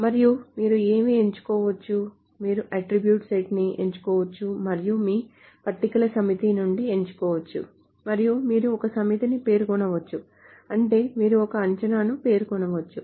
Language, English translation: Telugu, You can select a set of attributes and you can select from a set of tables and you can specify a set of, I mean you can specify a predicate